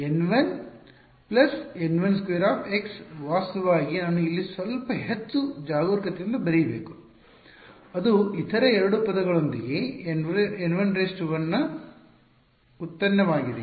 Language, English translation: Kannada, So, W x is N 1 squared plus N 1 x actually I should I should write it little bit more careful over here it is the product of N 1 1 x with the other two terms